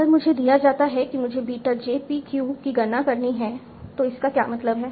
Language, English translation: Hindi, So if I'm given, I have to compute beta j pq